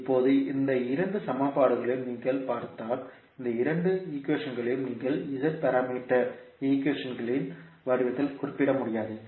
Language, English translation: Tamil, Now, if you see these two equations you cannot represent these two equations in the form of Z parameter equations